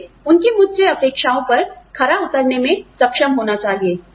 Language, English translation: Hindi, I need to be, able to live up, to the expectations, they have, from me